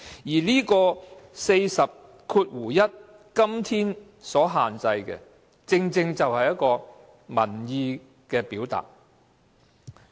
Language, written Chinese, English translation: Cantonese, 《議事規則》第401條今天所限制的，正是民意的表達。, What is limited under RoP 401 today is indeed the expression of public opinions